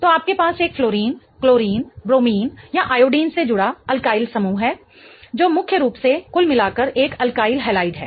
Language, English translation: Hindi, So, you have either an alkali group attached to a fluorine, fluorine, bromine or iodine which is mainly an alkyll halide in total